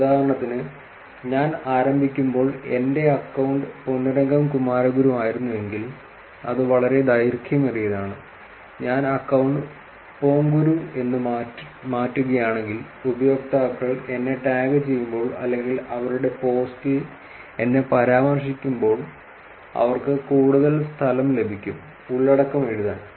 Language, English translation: Malayalam, For example, if at all if my account when I started was Ponnurangam Kumaraguru, which is pretty long and if I change the account to Ponguru, I will start getting when users tag me or mention me in their post, they would get actually more space to write the content